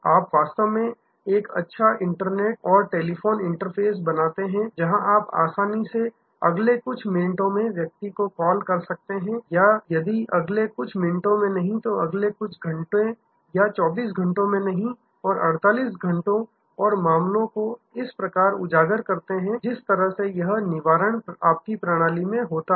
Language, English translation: Hindi, You really create a good web and telephone interface, where you can easily call back the person within the next a few minutes or if not next few minutes, next few hours and not 24 hours and 48 hours and also highlight the cases, highlight the way this Redressal happen in your system